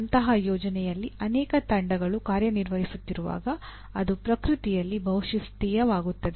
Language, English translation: Kannada, When multiple teams are working on such a project it becomes multidisciplinary in nature